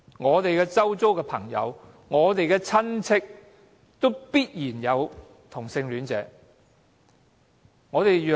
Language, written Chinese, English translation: Cantonese, 我們周遭的朋友、親屬中也必然有同性戀者。, There must be homosexuals among the friends and family members around us